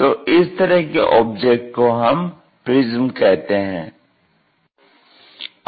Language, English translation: Hindi, Similarly, there are different kind of objects which are called prisms